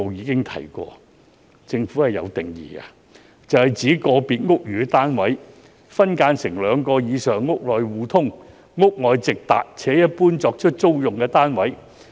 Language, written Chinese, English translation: Cantonese, 根據當時政府的定義，"劏房"是指個別屋宇單位分間成兩個以上"屋內互通"、"屋外直達"且一般作出租用的單位。, According to the Governments definition back then SDUs are units formed by splitting a unit of quarters into two or more internally connected and externally accessible units commonly for rental purposes